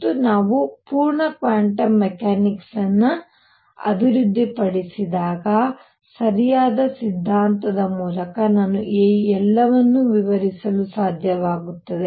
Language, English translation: Kannada, And when we develop the full quantum mechanics I should be able to explain all this through proper theory